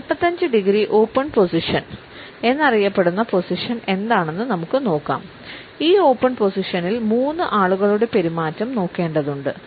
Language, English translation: Malayalam, Let us look at what is known as 45 degree open position; in this open position we find that the behaviour of three people is to be viewed